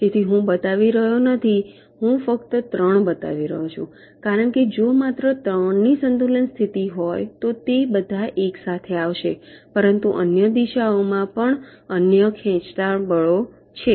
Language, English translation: Gujarati, so i am not showing, i am only show showing three, because if it is only three the equilibrium position, they will all come to all together, but there are other pulling force in other directions also